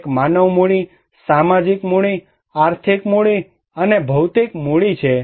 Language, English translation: Gujarati, One is a human capital, social capital, financial capital and physical capital